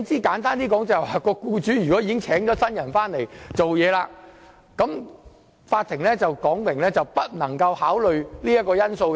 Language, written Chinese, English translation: Cantonese, 簡單而言，即使僱主已聘請了新僱員工作，法院要表明不能考慮這個因素。, To put it simply even if the employer has engaged a replacement it is provided that the court cannot take that into account